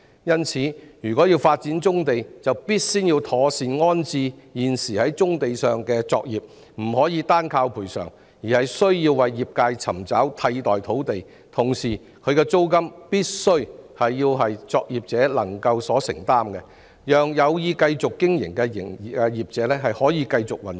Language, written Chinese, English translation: Cantonese, 因此，如果要發展棕地，必先要妥善安置現時在棕地上的作業，不能單靠賠償，而是需要為業界尋找替代土地，同時其租金必須為作業者所能承擔，讓有意繼續經營的作業者繼續運作。, Hence if the brownfield sites are to be developed the existing operations on them must be properly relocated . We cannot rely solely on providing compensation instead it is necessary to find alternative sites for the trades while their rentals must be affordable by the operators to enable operators who intend to continue their businesses to carry on with the operation